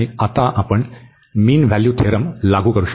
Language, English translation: Marathi, And now we will apply the mean value theorem